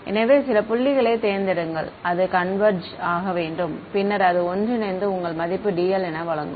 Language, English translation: Tamil, So, pick a few points and it should converge and then that is your value of dl ok